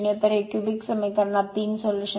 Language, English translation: Marathi, So, it is a cubic equation you will have 3 solutions